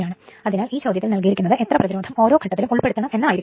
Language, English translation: Malayalam, Therefore, in the problem it is given how much resistance must be included per phase